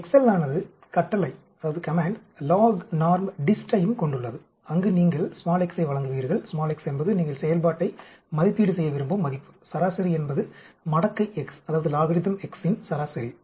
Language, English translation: Tamil, Excel also has of command LOGNORMDIST, where you give x is the value at which you want to evaluate the function, mean is the mean of logarithm x